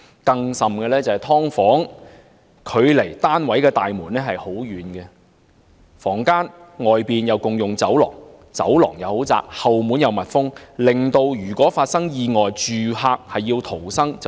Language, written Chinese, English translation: Cantonese, 更甚者，"劏房"距離單位大門太遠，各個房間外共用的走廊太窄，後門又密封，一旦發生意外，住客難以逃生。, What is more the subdivided units are too far away from the door of the flat the corridors shared outside each subdivided unit are too narrow and the back doors are zealed . Therefore it is difficult for the tenants to escape in the event of an accident